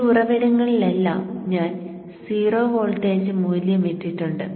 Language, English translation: Malayalam, Now observe also that I have put zero voltage value at all these source